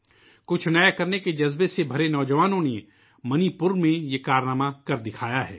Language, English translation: Urdu, Youths filled with passion to do something new have demonstrated this feat in Manipur